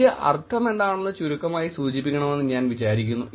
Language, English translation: Malayalam, Then I thought I would just mention it briefly what does it mean